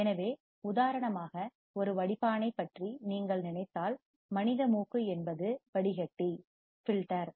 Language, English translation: Tamil, So, if you think about a filter for example, human nose is the filter